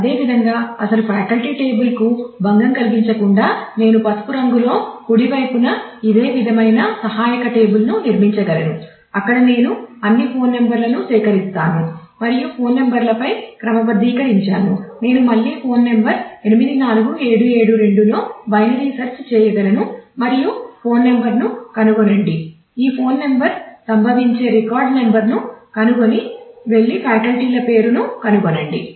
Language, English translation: Telugu, Similarly, without disturbing the actual faculty table I can build a similar kind of supportive table on the right the yellow one where I collect all the phone numbers and I have sorted on the phone numbers I can again do binary search on the phone number 84772 and find the phone number find the record number where this phone number occurs and go and find the name of the faculty